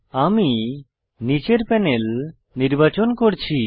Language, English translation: Bengali, I am choosing the bottom panel